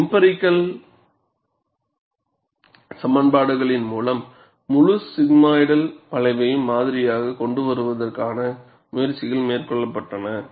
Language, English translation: Tamil, Efforts have also been made to model the entire sigmoidal curve through empirical equations